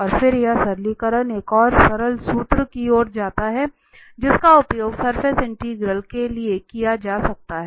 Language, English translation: Hindi, And then this simplification leads to another simple formula, which can be used for the surface integrals